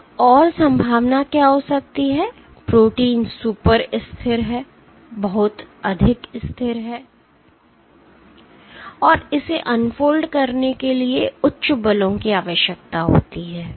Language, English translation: Hindi, What might be another possibility; the protein is super stable and requires high forces to unfold